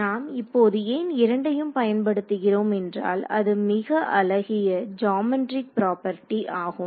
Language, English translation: Tamil, Now we will get into why we are using two of them it is a very beautiful geometric property only